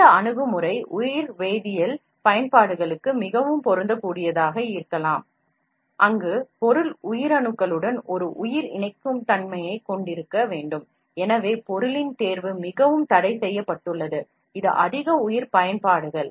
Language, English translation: Tamil, This approach may be more applicable to biochemical applications, where material must have a biocompatibility with living cell and so, choice of material is very restricted, this is more bio applications